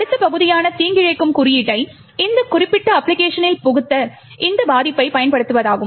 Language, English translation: Tamil, The next part is to use this vulnerability to inject malicious code into that particular application